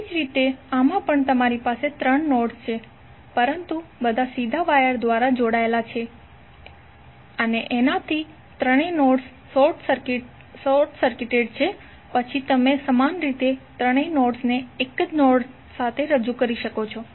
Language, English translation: Gujarati, Similarly in this also, although you have three nodes but since all are connected through direct wire means all three nodes are short circuited then you can equal entry represents all the three nodes with one single node